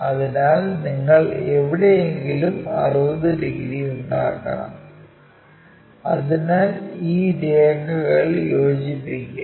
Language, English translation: Malayalam, So, you supposed to make 60 degrees somewhere there so join these lines